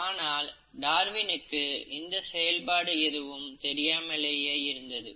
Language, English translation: Tamil, But, Darwin did not know the mechanism